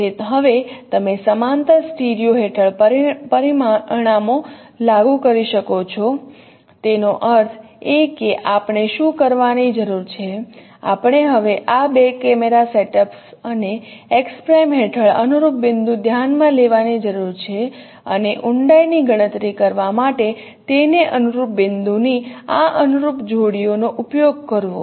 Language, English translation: Gujarati, That means what we need to do we need to consider now the corresponding points under this two camera setups as x2 and x prime and use them use this corresponding point pair of corresponding points to compute the depth